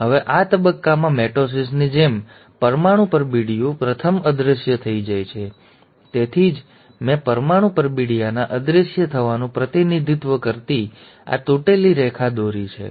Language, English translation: Gujarati, Now in this phase, just like in mitosis, the nuclear envelope first disappears, that is why I have drawn this dashed line representing disappearance of the nuclear envelope